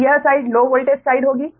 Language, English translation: Hindi, this should be low voltage side